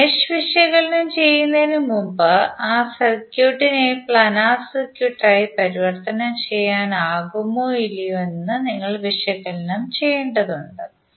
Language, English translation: Malayalam, So you need to analyse the circuit once before doing the mesh analysis whether it can be converted into a planar circuit or not